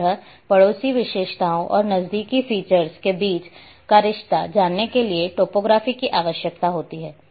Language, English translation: Hindi, Similarly, in order to know the spatial relationships between adjacent on neighbouring features topology is required